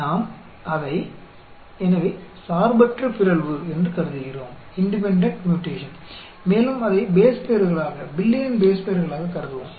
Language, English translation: Tamil, So, we assume it as independent mutation, and we will assume it as base pairs, billion pair